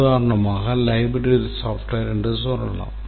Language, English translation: Tamil, For example, let's say a library software